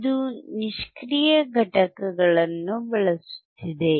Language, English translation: Kannada, This is using the passive components